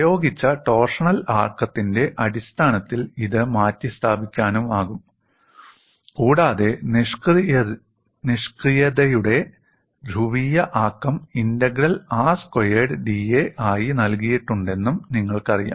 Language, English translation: Malayalam, And this could be replaced in terms of the torsional moment, apply and you also know the polar moment of inertia is given as integral r square d A